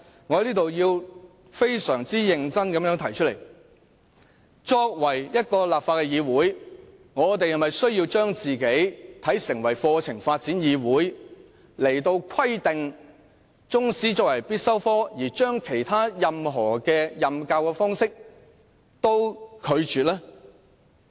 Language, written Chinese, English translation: Cantonese, 我要非常認真地表明，立法會是否要成為香港課程發展議會，規定中史科成為必修科，拒絕其他任何教學方式？, I would like to pose a serious question Does the Legislative Council want to become the Hong Kong Curriculum Development Council requiring Chinese History to be made compulsory and refusing other modes of teaching?